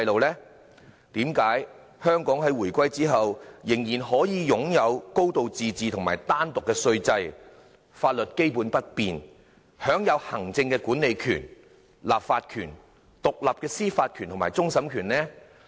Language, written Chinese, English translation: Cantonese, 為何香港在回歸後仍然可以擁有"高度自治"和單獨的稅制，法律基本不變，享有行政管理權、立法權、獨立的司法權和終審權？, How come Hong Kong can after the reunification still have a high degree of autonomy and an independent taxation system how come its legal system can remain basically unchanged and how come it can enjoy executive legislative and independent judicial power including that of final adjudication?